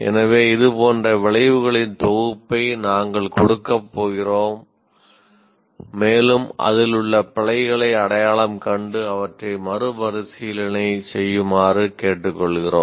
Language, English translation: Tamil, So we are going to give a set of outcomes like this and we request you to identify the errors in this and reword them